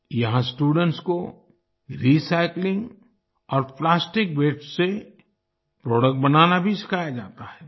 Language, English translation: Hindi, Here students are also taught to make products from recycling and plastic waste